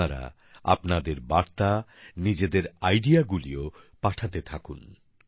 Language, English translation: Bengali, Do keep sending your messages, your ideas